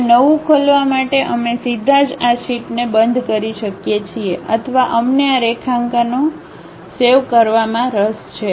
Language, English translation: Gujarati, Now, we can straight away close this sheet to open a new one or we are interested in saving these drawings